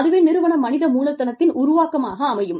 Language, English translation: Tamil, So, that is the organizational human capital